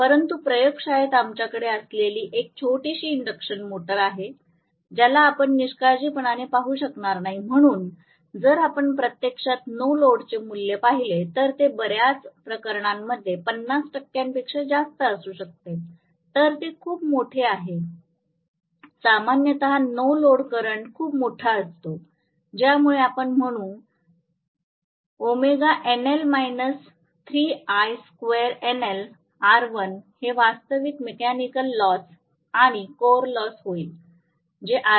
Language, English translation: Marathi, But is a small induction motor again what we have in the laboratory an all we could not careless, so if you look at actually the value of the no load it can be as high as 50 percent even in many cases, so it is very large normally the no load current is very large because of which we will say W no load minus 3I no load square R1, this will be the actual mechanical loss plus the core loss, this will be the actual mechanical loss plus core loss, which will help us to calculate RC